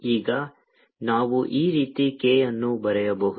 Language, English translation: Kannada, let's call this direction k